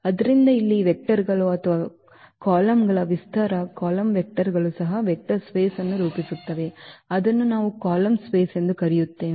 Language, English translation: Kannada, So, here also the span of these vectors of or the columns, column vectors of this a will also form a vector space which we call the column space